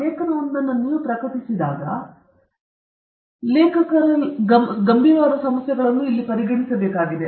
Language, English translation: Kannada, When you publish an article, in a scientific journal, you need to consider many serious authorship issues here